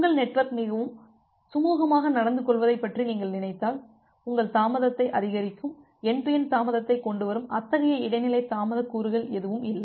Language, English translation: Tamil, If you just think about your network is behaving very smoothly, there is no such intermediate delay components which will increase your delay, end to end delay